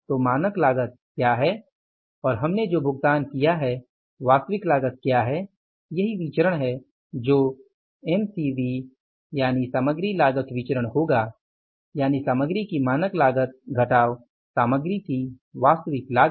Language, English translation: Hindi, This is the variance we have to find out would have have been and that will become the MCB that is the standard cost of material minus the actual cost of material